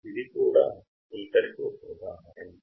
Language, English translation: Telugu, That is also example of a filter right